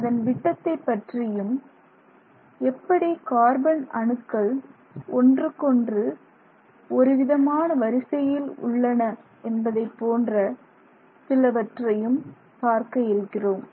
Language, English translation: Tamil, We want to say something about its diameter, we want to say something about how the carbon atoms are sort of lined up with respect to each other and so on